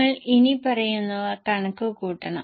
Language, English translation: Malayalam, Now you are required to compute following